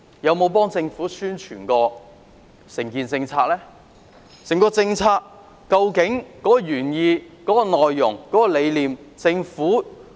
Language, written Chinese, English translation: Cantonese, 究竟政府可以用甚麼渠道解釋整項政策的原意、內容和理念？, What channels can the Government use to explain the original intent content and objectives of the policy?